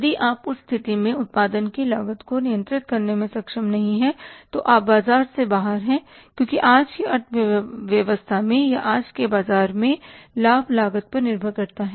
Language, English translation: Hindi, If you are not able to control the cost of production in that case you are out of the market because profit in today's economy or in today's market depends upon the cost